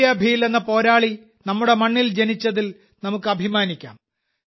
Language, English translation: Malayalam, We are proud that the warrior Tantiya Bheel was born on our soil